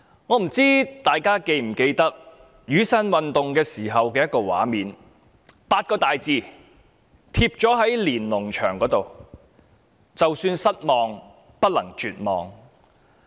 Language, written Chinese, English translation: Cantonese, 我不知道大家是否記得雨傘運動時的一個畫面，當時有8個大字貼在"連儂牆"上，就是"就算失望，不能絕望"。, I wonder if Members still remember a scene during the Umbrella Movement where large - print Chinese characters meaning disappointment but not despair were posted on the Lennon Wall